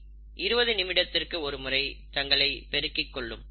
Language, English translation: Tamil, coli multiply every twenty minutes